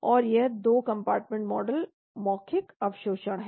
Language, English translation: Hindi, And this is the 2 compartment model oral absorption